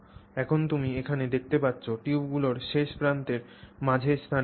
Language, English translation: Bengali, So now you can see here that between the ends of the tubes there is space